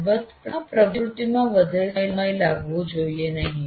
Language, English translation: Gujarati, Of course, this activity should not take too long